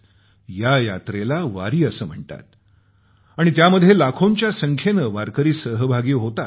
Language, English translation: Marathi, This yatra journey is known as Wari and lakhs of warkaris join this